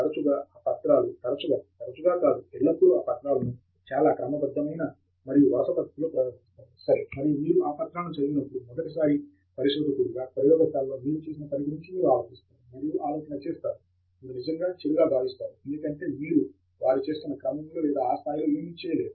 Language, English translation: Telugu, Often those papers are, in fact, not often, always those papers are presented in a very systematic and sequential manner, ok so and as a first time researcher when you read those papers, and you think of the work that you are doing in the lab, you really feel bad because you are not doing anything in that level of sequence at which they are doing it